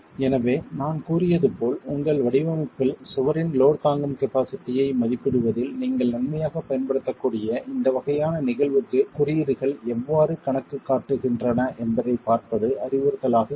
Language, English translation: Tamil, So, as I said, it will be instructive to see how do codes account for this sort of a phenomenon that you can beneficially utilize in estimating the load carrying capacity of the wall in your design